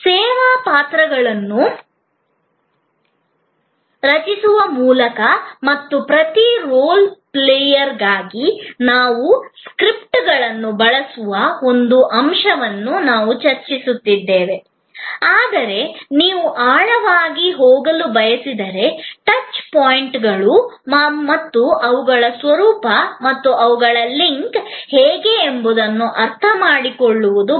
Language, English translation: Kannada, We have discussed one aspect of it that by create service roles and we creates scripts for each role player, but if you want to go into deeper, it is very important to understand the touch points and their nature and the how their link together on the flow